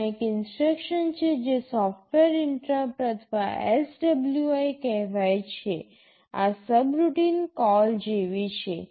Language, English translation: Gujarati, There is an instruction called software interrupt or SWI, this is like a subroutine call